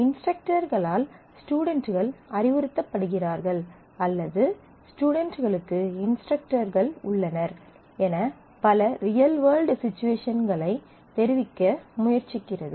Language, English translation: Tamil, Trying to convey the real world situation that students are advised by the instructors or students have instructors and so on